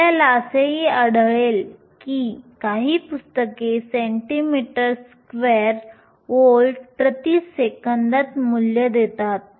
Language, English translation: Marathi, You will also find that some books give values in centimeters square volts per second